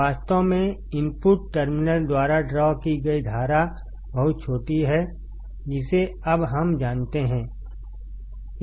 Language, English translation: Hindi, In reality, the current drawn by the input terminal is very small that we know that now